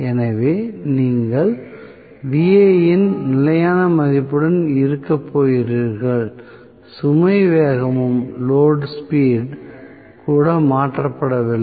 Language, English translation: Tamil, So, you are going to have even for a constant value of Va the no load speed is also changed